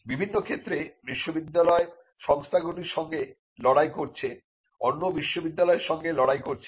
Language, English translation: Bengali, So, there are in various cases where universities have fought with companies, universities have fought with other universities